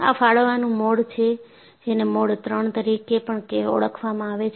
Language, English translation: Gujarati, This is the Tearing Mode also called as Mode III